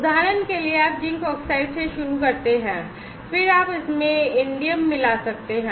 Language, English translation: Hindi, For example, you start with zinc oxide, then you can add indium into it